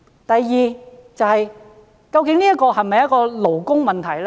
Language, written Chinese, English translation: Cantonese, 第二，這是否勞工問題？, Second is this a labour issue?